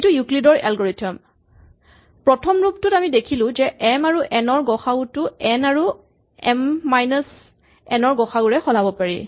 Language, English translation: Assamese, This is EuclidÕs algorithm, the first version where we observe that the gcd of m and n can be replaced by the gcd n and m minus n